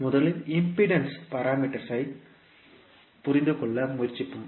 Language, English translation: Tamil, First, we will try to understand the impedance parameters